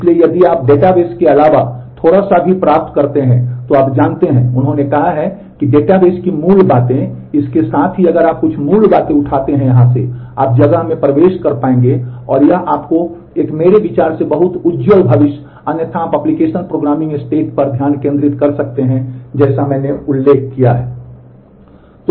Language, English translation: Hindi, So, if you can acquire a little bit of besides database you know he said that the basics of the database along with that if you pick up few basics or from here, you will be able to enter into the space and that will give you a very very bright future in my view otherwise you can focus on the application programming stat as I have mentioned